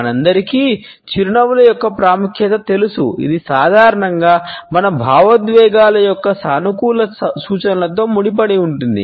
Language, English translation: Telugu, All of us know the significance of smiles, it is associated with positive indications of our emotions normally